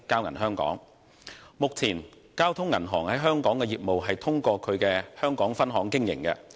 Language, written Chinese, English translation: Cantonese, 目前，交通銀行在香港的業務通過其香港分行經營。, At present the Hong Kong business of Bank of Communications is operated through its Hong Kong branch